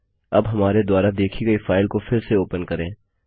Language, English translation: Hindi, Now reopen the file you have seen